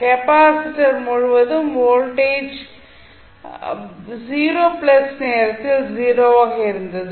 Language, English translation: Tamil, The voltage across the capacitor was 0 at time 0 plus